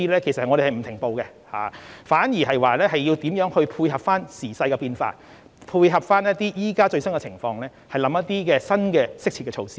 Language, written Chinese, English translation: Cantonese, 其實，我們並沒有停步，反而是考慮如何配合時勢變化、配合目前最新情況，推出一些新的適切措施。, So Members can see how we have introduced measures in tandem with the changing epidemic and economic development . Actually we have not stopped but rather we have been launching new and suitable measures in the light of the changing time and the latest situation